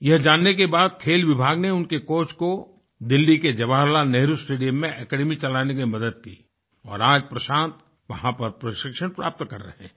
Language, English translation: Hindi, After knowing this amazing fact, the Sports Department helped his coach to run the academy at Jawaharlal Nehru Stadium, Delhi and today Prashant is being coached there